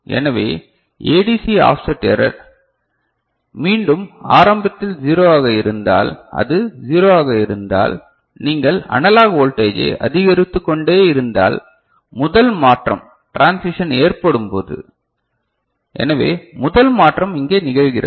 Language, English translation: Tamil, So, ADC offset error, so again you start if it is 0, it is 0, then if you keep increasing the analog voltage, when the first transition occurs ok